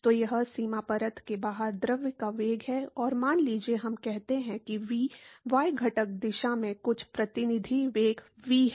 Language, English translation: Hindi, So, that is the velocity of the fluid outside the boundary layer and suppose, we say that the V is some representative velocity v in the y component direction